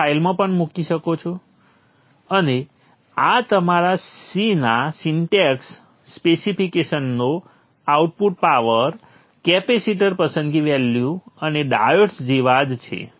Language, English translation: Gujarati, And this is just like your C syntax, specifications, output power, capacitor selection values and dive